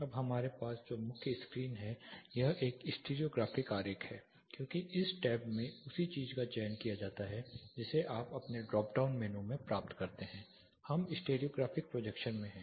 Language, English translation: Hindi, Now the main screen what we have here this is a stereographic diagram because this tab is selected the same thing that you get in your drop down, we are in stereographic projection